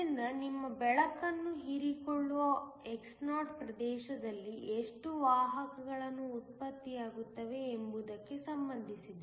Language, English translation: Kannada, So, it is related to how many carriers are generated within the region xo where your light is absorbed